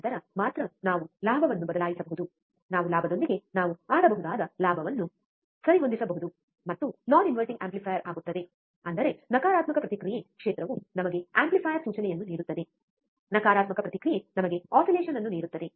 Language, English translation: Kannada, Then only we can change the gain we can we can adjust the gain we can play with the gain, and becomes a non inverting amplifier; means that, negative feedback field give us amplifier implication, positive feedback give us oscillation right